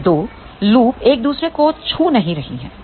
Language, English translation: Hindi, These 2 loops are not touching each other